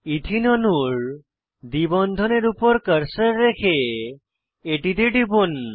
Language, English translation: Bengali, Place the cursor on the double bond in the Ethene molecule and click on it